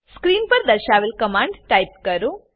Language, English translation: Gujarati, Type the following commands as shown on the screen